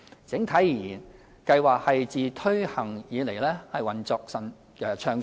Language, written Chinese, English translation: Cantonese, 整體而言，計劃自推行以來運作暢順。, On the whole the Pilot Scheme has been operating smoothly since its introduction